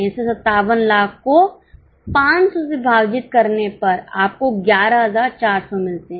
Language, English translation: Hindi, So, 57 lakhs divided by 500, you get 11,400